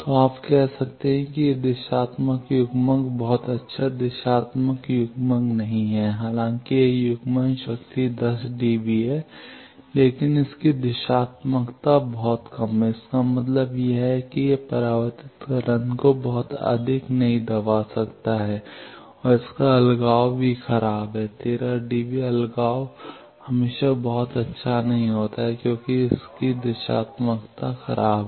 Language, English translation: Hindi, So, you can say that this directional coupler is not a very good directional coupler that though it is coupling power is 10 db, but its directivity is very low; that means, its it cannot suppress the reflected wave very much and its isolation is also poor 13 db isolation is not always very good just because its directivity is poor